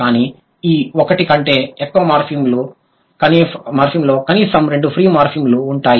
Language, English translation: Telugu, But this more than one morphem will have at least 2 fms